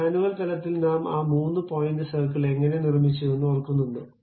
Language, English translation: Malayalam, Ah Do you remember like how we have constructed that three point circle at manual level